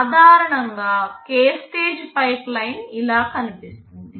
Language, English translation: Telugu, A k stage pipeline in general looks like this